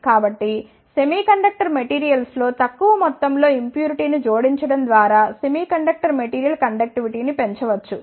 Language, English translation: Telugu, So, the semiconductor material conductivity can be increased by adding the small amount of impurity in the semiconductor materials